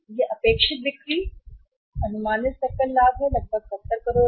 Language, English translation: Hindi, These are the expected sales and the estimated, estimated gross profit is about 70 crores, is 70 crores